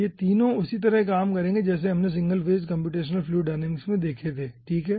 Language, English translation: Hindi, okay, all these 3 will be acting similarly as we have dealt in our single phase computational fluid dynamics